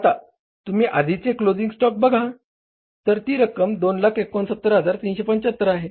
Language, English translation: Marathi, Earlier the value of the closing stock was 2,069,375